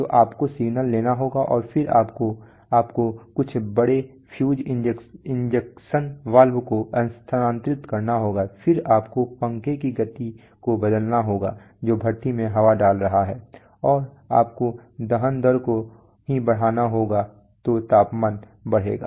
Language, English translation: Hindi, So you have to take the signal and then you have to, you have to move some big maybe fuel injection valve, then you have to change the speed of the fan which is putting air into the furnace, and you have to increase combustion rate only then temperature will increase right